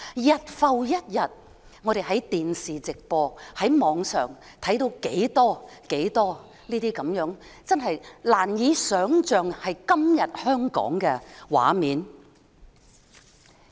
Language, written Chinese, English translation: Cantonese, 日復一日，我們在電視直播及互聯網上看到多少這些難以想象會在今天香港出現的畫面。, Day in day out we see on live television and the Internet so many such scenes which we could hardly imagine would appear in Hong Kong today